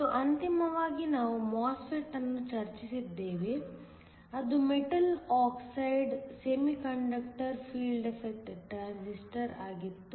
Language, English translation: Kannada, And then finally, we discussed the MOSFET which was the metal oxide semi conductor field effect transistor